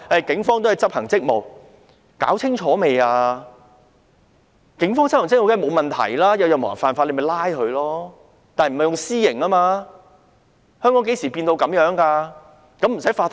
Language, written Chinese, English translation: Cantonese, 警方執行職務，當然沒有問題，任何人犯法皆應被拘捕，但他們不能動用私刑。, Of course there is no problem with the Police performing their duties . Anyone who breaks the law should be arrested but they should not take the law into their own hands